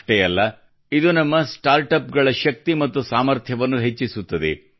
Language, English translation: Kannada, Not only that, it also enhances the strength and potential of our startups